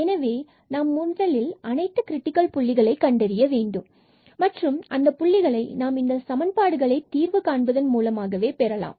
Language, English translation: Tamil, So, we need to find first all the critical points and those critical points we will get by solving these equations